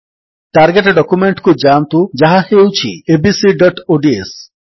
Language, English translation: Odia, Now switch to the target document, which is abc.ods